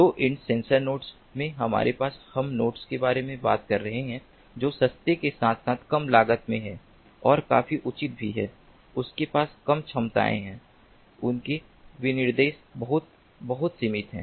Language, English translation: Hindi, in the low end sensor nodes we have, we are talking about nodes which are low in cost, with a cheap and also, quite justifiably, they have low capabilities